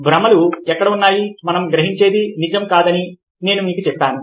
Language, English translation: Telugu, i told you that, ah, illusions are where what we perceive is not what is true